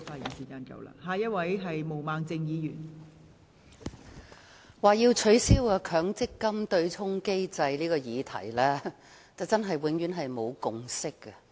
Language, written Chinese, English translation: Cantonese, 代理主席，就取消強制性公積金對沖機制這個議題，真是永遠沒有共識。, Deputy President a consensus can actually never be reached on the subject of abolishing the Mandatory Provident Fund MPF offsetting mechanism